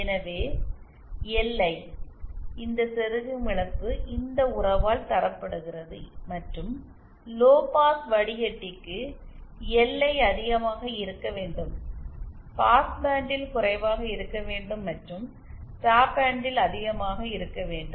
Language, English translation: Tamil, So, LI, this insertion loss is given by this relationship and for say a low pass filter, LI should be high, should be low in the passband and high in the stop band